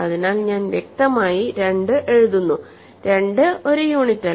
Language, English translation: Malayalam, So, I will simply write clearly 2 has, 2 is not a unit, ok